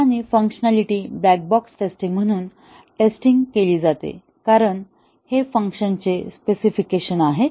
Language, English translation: Marathi, And, the functionality is tested as black box testing because these are the specification of the functions